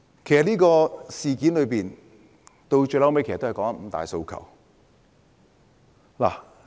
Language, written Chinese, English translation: Cantonese, 其實，這事件的癥結在於"五大訴求"。, In fact the crux of this incident is the five demands